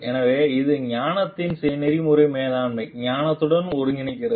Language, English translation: Tamil, So, it integrates like ethics of wisdom with the management wisdom